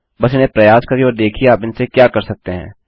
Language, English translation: Hindi, Just try them out and see what all you can do with them